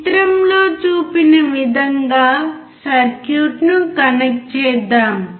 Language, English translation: Telugu, Let us connect the circuit as shown in figure